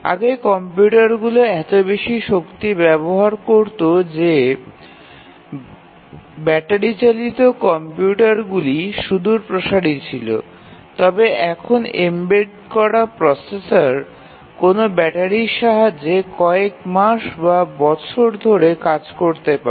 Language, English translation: Bengali, Earlier the computers were using so much of power that battery operated computer was far fetched, but now embedded processor may work for months or years on battery